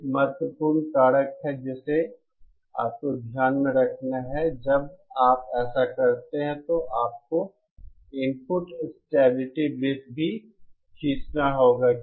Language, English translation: Hindi, Now, one important factor that you have to take into account when you do this is that you have to draw the input stability circles as well